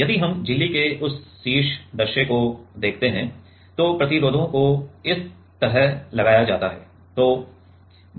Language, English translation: Hindi, If we see that top view of the membrane then the resistors are put like this